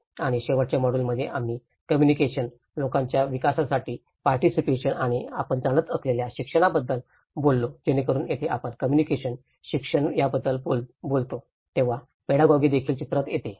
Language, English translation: Marathi, And in the last module, we talked about the communication, participation for people centre development and education you know so this is where when we talk about communication, education, the pedagogy also comes into the picture